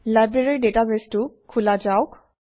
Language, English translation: Assamese, Lets open the Library database